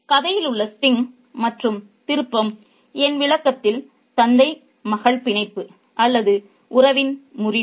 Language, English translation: Tamil, The sting and the twist in the story in my interpretation is the breakup of the father, daughter, bond or relationship